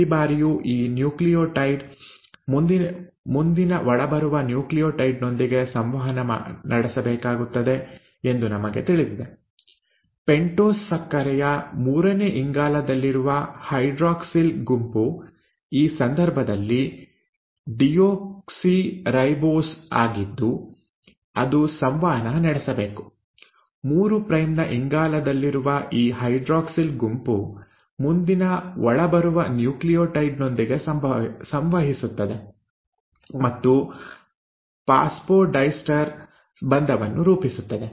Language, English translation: Kannada, Now we know that every time this nucleotide has to interact with the next incoming nucleotide, it is the hydroxyl group present in the third carbon of the pentose sugar which is deoxyribose in this case, has to interact; this hydroxyl group at the third, 3 prime carbon, interacts and forms of phosphodiester bond, with the next incoming nucleotide